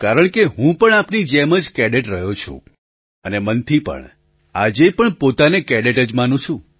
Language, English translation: Gujarati, More so, since I too have been a cadet once; I consider myself to be a cadet even, today